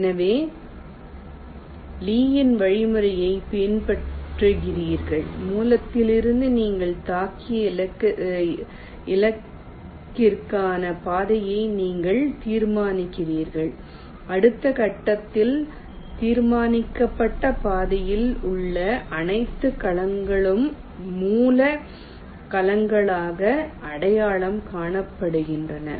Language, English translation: Tamil, so you follow lees algorithm: you determine the path from the source to the target you have hit and in the next step, all the cells in the determined path are identified as source